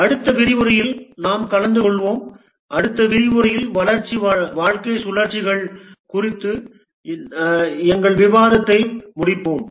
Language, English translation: Tamil, We will take up in the next lecture and we will complete our discussion on the development life cycles in the next lecture